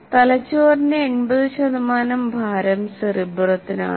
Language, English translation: Malayalam, Cerebrum represents nearly 80% of the brain by weight